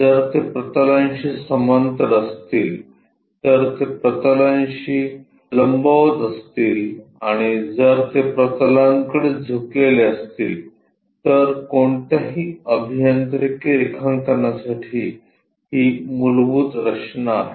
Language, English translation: Marathi, If they are parallel to the planes, if they are perpendicular to the planes, and if they are inclined to the planes these are the basic construction for any engineering drawing